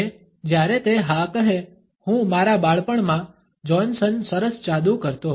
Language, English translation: Gujarati, And when he say yes I (Refer Time: 10:47) magic Johnson nice (Refer Time: 10:49) my childhood